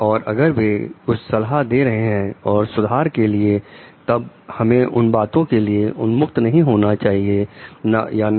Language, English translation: Hindi, And if like they are suggesting something for them like improvement then are we open to take those suggestions or not